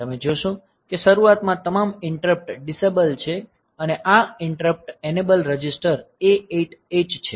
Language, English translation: Gujarati, So, you see that initially all the interrupts disabled and this interrupt enabled register is a 8H address is a 8H